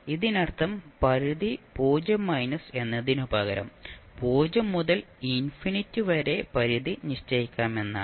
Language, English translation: Malayalam, It means that instead of having limits 0 minus you can put limit from 0 to infinity